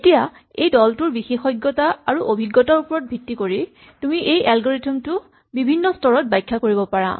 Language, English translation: Assamese, Now depending on the expertise and the experience of this group of people, you can describe this algorithm at different levels of detail